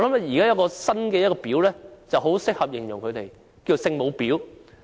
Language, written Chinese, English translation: Cantonese, 現在有一個新的"婊"很適合形容他們，便是"聖母婊"。, Now there is a new bitch to aptly describe them―Holy Mother bitch